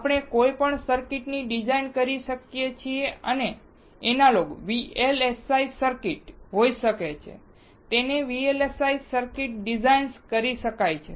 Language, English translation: Gujarati, We can design any circuit and it can be Analog VLSI circuits, it can be digitized VLSI circuits